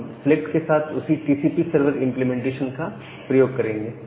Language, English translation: Hindi, We will use the same TCP server implementation with this select